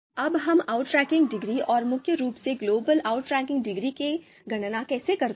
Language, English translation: Hindi, Now how do we you know you know compute the you know outranking degree and mainly global outranking degree